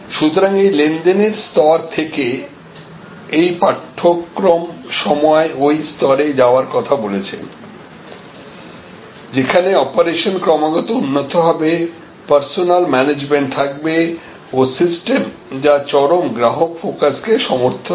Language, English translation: Bengali, So, from these transactional levels, this course has always talked about how to rise to this level, where the operations continually excel, it is reinforced by personnel management and system that support an intense customer focus